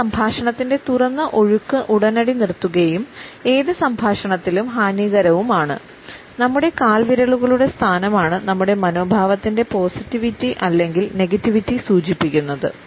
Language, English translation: Malayalam, It immediately stops, the open flow of conversation and is detrimental in any dialogue; it is the position of our toes which suggest a positivity or negativity of our attitude